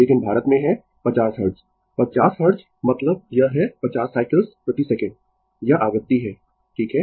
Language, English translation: Hindi, But India is 50 Hertz, 50 Hertz means it is 50 cycles per second this is the frequency right